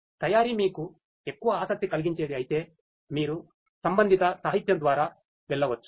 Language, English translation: Telugu, If manufacturing is one that interests you more you could go through the corresponding literature